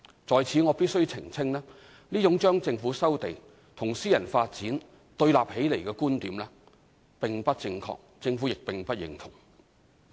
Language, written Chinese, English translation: Cantonese, 在此我必須澄清，這種將政府收地與私人發展對立起來的觀點並不正確，政府亦不認同。, I must hereby clarify that this kind of view that regards land resumption by the Government and private development as mutually exclusive is incorrect and the Government does not agree